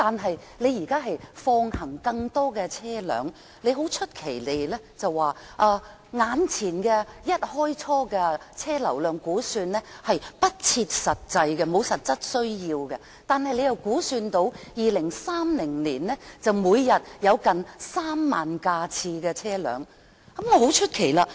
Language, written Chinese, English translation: Cantonese, 政府現在放行更多車輛使用大橋，一開始便作出不切實際的車輛流量估算，但同時又估算2030年每天約有3萬架次的車輛行經大橋。, The Government has allowed more vehicles to use HZMB . It made an unrealistic projection in the beginning on the vehicular flow of HZMB but then it made another projection on the vehicular flow of HZMB in 2030 saying that the daily traffic volume will be about 30 000 by then